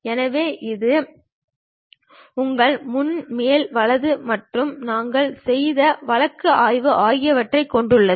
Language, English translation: Tamil, So, which contains your front, top, right and whatever the case study we have done